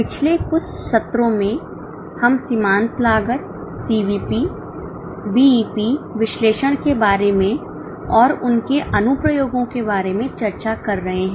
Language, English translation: Hindi, In last few sessions, in last few sessions we are discussing about marginal costing, CVP, BP analysis and its applications